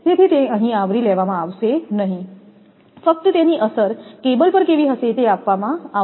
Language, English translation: Gujarati, So, it will not be covered here, just it effect on cable it will be given